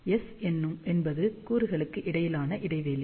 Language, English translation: Tamil, S is the spacing between the elements